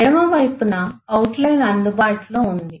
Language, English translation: Telugu, the outline is available on the left